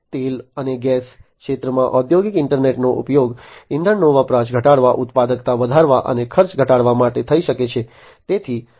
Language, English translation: Gujarati, In the oil and gas sector the industrial internet can be used to reduce fuel consumption, enhancing productivity and reducing costs